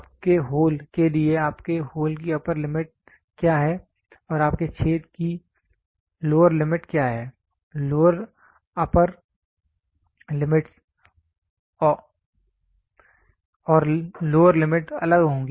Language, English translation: Hindi, For your hole what is your upper limit of your hole and what is your lower limit of your hole; the lower upper limit and lower limits will be different